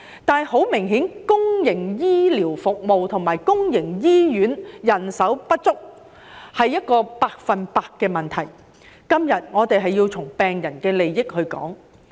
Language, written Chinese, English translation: Cantonese, 但是，很明顯，公營醫療服務和公營醫院人手不足是一個百分之百的問題，今天我們要從病人利益的角度討論。, However it is obvious that the inadequacy of public healthcare services and public healthcare personnel is 100 per cent a problem . Today we have to discuss it with patients interest in mind